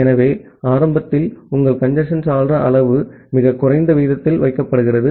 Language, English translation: Tamil, So, initially your congestion window size is kept at a very minimal rate